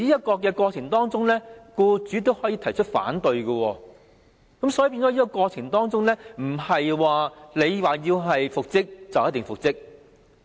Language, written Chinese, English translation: Cantonese, 在這過程中，僱主可以提出反對，而不是僱員要求復職便一定能夠復職。, During the process the employer may raise objection; an employees application for reinstatement will not be approved as a matter of course